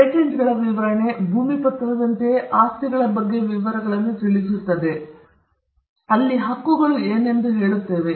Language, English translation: Kannada, And the patents specification, much like the land deed, would convey the details about the property and would end with something what we call the claims